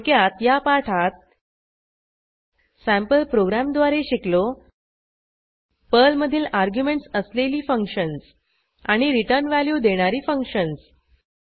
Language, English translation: Marathi, In this tutorial, we have learnt Functions in Perl functions with arguments and functions which return values using sample programs